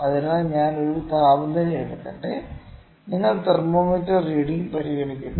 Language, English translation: Malayalam, So, let me take a temperature you consider thermometer reading